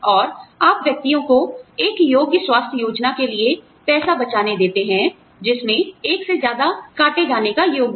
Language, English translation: Hindi, And, you let individuals, save money for a qualified health plan, that has a high deductible